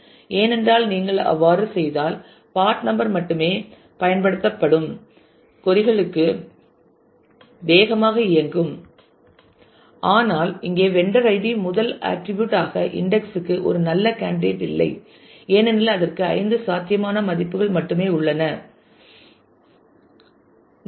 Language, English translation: Tamil, Because if you if you do that then queries where only part number is used will also run faster, but the vendor id here is not a very good candidate for indexing as a as a first attribute because it has only five possible values very small number of value